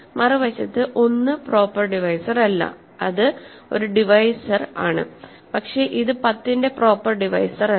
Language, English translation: Malayalam, On the other hand, 1 is not a proper divisor of, it is a divisor all right, but it is not a proper divisor of 10 right